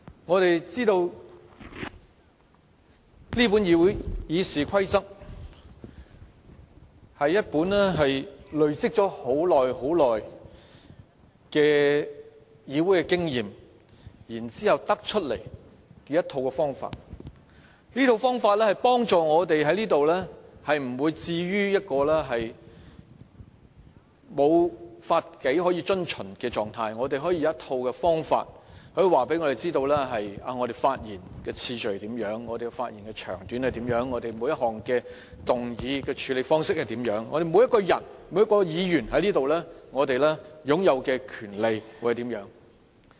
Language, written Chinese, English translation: Cantonese, 我們知道這本《議事規則》是在累積多年議會經驗後制訂的，它可以協助我們在此不會被置於一個沒有法紀可以遵循的狀態，我們有一套方法告訴我們，我們發言的次序、長短，以及每一項議案的處理方式該如何，我們每一個人和每位議員在此擁有的權利是甚麼。, The Rules of Procedure was written after the accumulation of long years of parliamentary experience . With a set of rules governing our speaking order and time the handling of every type of motions and the rights of every Member here it can help us avoid a state of having no rules to follow